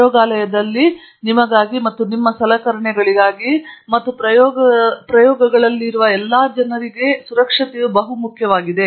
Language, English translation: Kannada, Now safety is important for all the people who are present in lab, for yourself, and also for the equipment, and even for the experiments itself